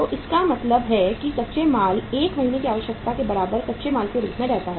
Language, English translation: Hindi, So it means raw material remains as raw material for the equal to the 1 month’s requirement